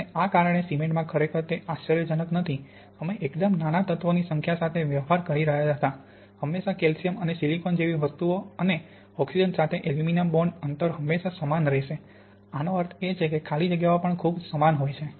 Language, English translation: Gujarati, And this is not really surprising, because in cement, all the, we were dealing with a quite small number of elements, always things like calcium and silicon and aluminum with oxygen so the bond distances will always be the same and this means that the lattice vacant spacings also tend to be very similar